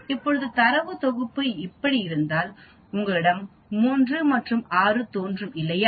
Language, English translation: Tamil, Now if the data set is like this you have 3 and 6 appearing, right